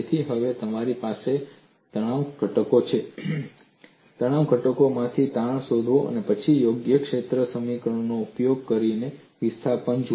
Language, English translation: Gujarati, So, now, you have stress components; from stress components, find out strain, then displacements using the appropriate field equations